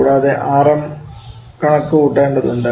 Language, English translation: Malayalam, And also we have to calculate Rm